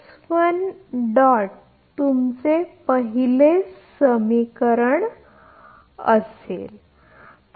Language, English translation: Marathi, So, this is the second equation